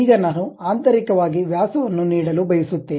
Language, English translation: Kannada, Now, I would like to give internally the diameter